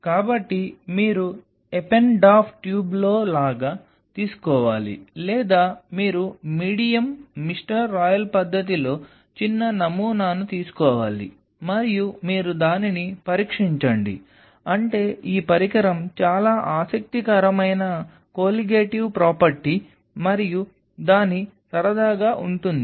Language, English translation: Telugu, So, you have to just take like in an Eppendorf tube or you take a small sample of the medium mister royal manner and you test it I mean this device it is a very interesting colligative property and its fun